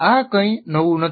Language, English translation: Gujarati, This is not anything new